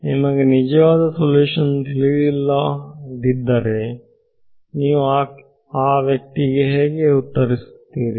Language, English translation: Kannada, If you do not know the true solution how will you answer that person